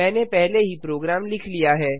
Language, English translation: Hindi, I have already written the program